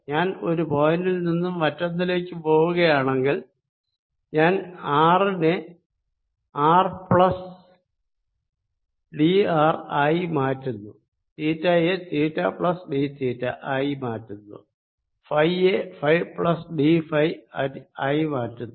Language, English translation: Malayalam, if i am going from one point to the other, i am changing r to r plus d r, i am changing theta to that plus d theta and i am changing phi to phi plus d phi, so d